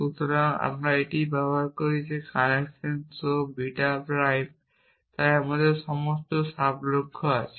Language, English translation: Bengali, So, we use it is connection show beta prime so we have sub goal now show alpha prime